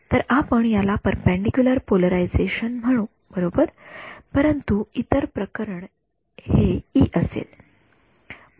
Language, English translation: Marathi, So we will call this perpendicular polarization right, but and the other case E will be like this